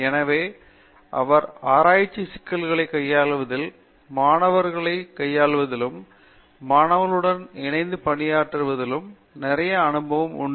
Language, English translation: Tamil, So, he has a lot of experience in dealing with research issues, dealing with students, working with students and guiding them through their PhD process